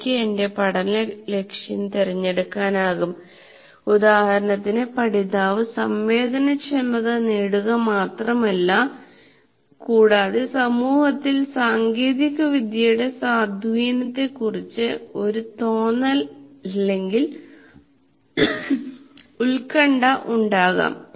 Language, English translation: Malayalam, For example, one of the learning goals, the learner will have to have not merely sensitization, should have a feel for or be concerned about the influence of technology and society